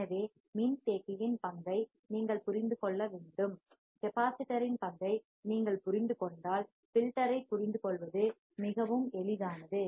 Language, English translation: Tamil, So, you have to just understand the role of the capacitor, if you understand the role of capacitor, the filter becomes very easy to understand right